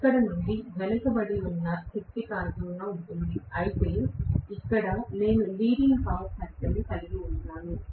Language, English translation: Telugu, Here it will be lagging power factor, whereas here, I am going to have leading power factor